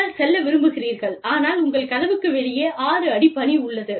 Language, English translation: Tamil, You want to go, but you have 6 feet of snow, outside your door